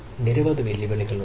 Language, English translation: Malayalam, so there are several challenges